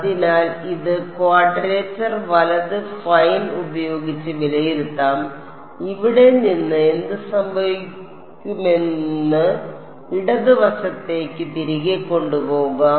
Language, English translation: Malayalam, So, this can be evaluated by quadrature right fine and from here what will happen U 1 will be taken back to the left hand side